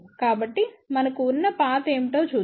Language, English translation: Telugu, So, let us see what is the path we have